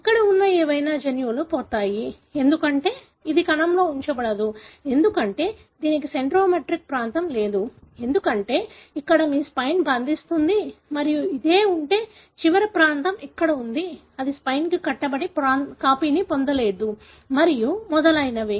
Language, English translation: Telugu, Now, whatever genes that are present over there is lost, because this cannot be retained in the cell, because it doesnÕt have the centromeric region, because this is where your spindle binds and if this is, the last region is here, it cannot bind to the spindle and get copied and so on